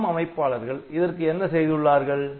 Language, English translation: Tamil, So, what these ARM people have done